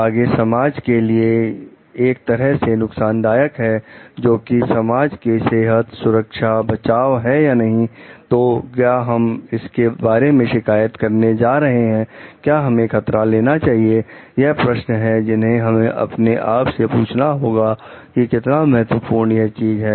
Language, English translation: Hindi, If it is further greater like society something which is harmful to public health, protection, safety or not; so, should we go for reporting it, should we go for taking the risk, these are the questions that we need to ask our self, like how important the this thing is